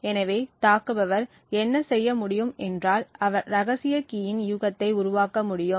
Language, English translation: Tamil, So, what the attacker could do is that he could create a guess of the secret key